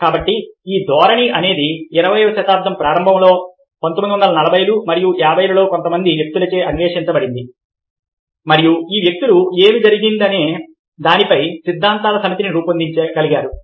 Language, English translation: Telugu, so this tendency is something which has been explored by certain people in their early twenty th century, in nineteen, forty's and fifty's, and these people were able to evolve a set of theories as to what happened